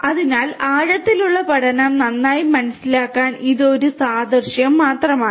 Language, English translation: Malayalam, So, this is just an analogy to you know make you understand deep learning better